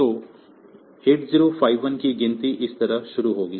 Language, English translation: Hindi, So, 8051 will start counting like this